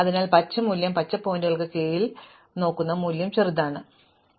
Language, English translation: Malayalam, So, if the green value, the value I am looking at under the green pointer is smaller, then I do this exchange